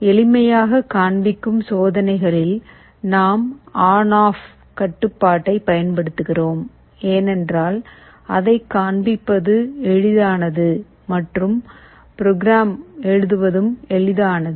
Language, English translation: Tamil, In the experiments that we shall be showing for simplicity, we shall be using on off kind of control, because it is easier to show and also easier to write the program